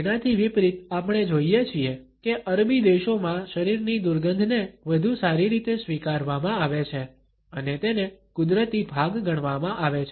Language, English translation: Gujarati, In contrast we find in that in Arabic countries there is a better acceptance of body odors and they are considered to be natural part